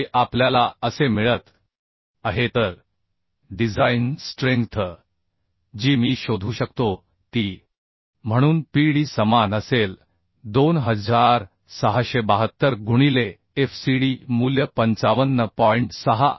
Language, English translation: Marathi, 96 which we are getting as this So the design strength I can find out Pd as Ae will be same 2672 into fcd value is 55